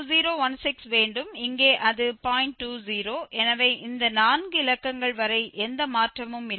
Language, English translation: Tamil, 20 so there is no change happening up to these four digits